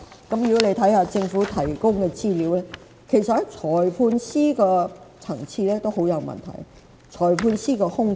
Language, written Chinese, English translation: Cantonese, 看一看政府提供的資料，便會發現裁判官的級別也很有問題，裁判官有大量空缺。, If we take a look at the information provided by the Government we will find that there are also serious problems at the Magistrate level as there are large numbers of vacancies